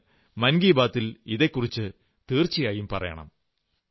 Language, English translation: Malayalam, Please speak about this on Mann ki Baat